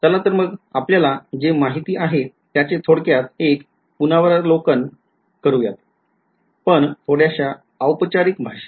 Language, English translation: Marathi, So, let us just do a sort of a brief review of what we already know, but in a little bit more formal language